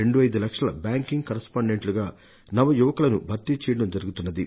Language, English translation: Telugu, 25 lakh young people have been recruited as banking correspondents